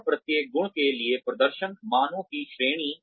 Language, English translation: Hindi, And, range of performance values, for each trait